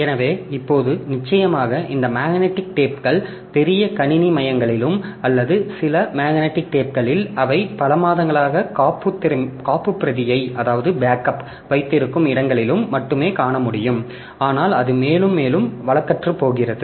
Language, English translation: Tamil, So, nowadays of course this magnetic tapes you can only find in big computer centers and or things like that where they keep back up over months in the in some magnetic tapes